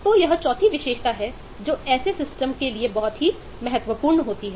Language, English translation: Hindi, so this is fourth attribute, which is critical for such systems